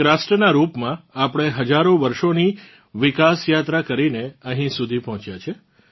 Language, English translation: Gujarati, As a nation, we have come this far through a journey of development spanning thousands of years